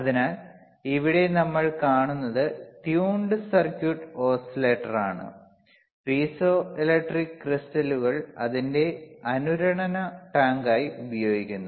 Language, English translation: Malayalam, So, what we see here is a tuned circuit oscillator using piezoelectric crystals a as its resonant tank